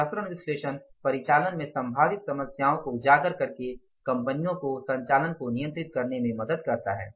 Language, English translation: Hindi, Various analysis helps companies control operations by highlighting potential problems in the operations